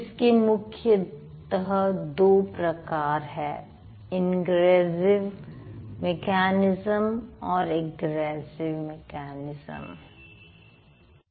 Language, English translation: Hindi, One is the ingressive mechanism, the other one is the egressive mechanism